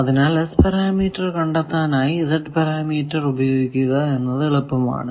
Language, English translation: Malayalam, So, their Z parameter finding is easier you can do that and then come to S parameter